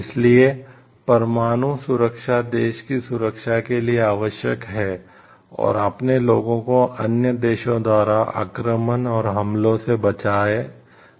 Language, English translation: Hindi, So, nuclear deterrence is very much essential to safeguard a country and protects its people from invasion and, attacks from other countries